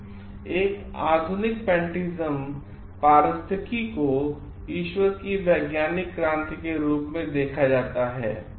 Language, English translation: Hindi, And a modern pantheism ecology is viewed as the scientific revolution of god